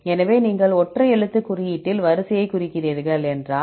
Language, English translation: Tamil, So, if you represent the sequence in single letter code right